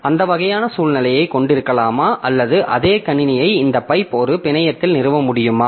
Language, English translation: Tamil, So, so can we have that type of situation or the same computer can we have the say pipe established over a network